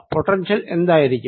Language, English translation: Malayalam, what will be the potential